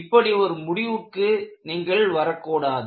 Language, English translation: Tamil, You should not come to such kind of a conclusion